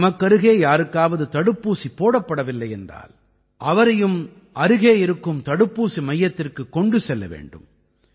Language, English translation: Tamil, Those around you who have not got vaccinated also have to be taken to the vaccine center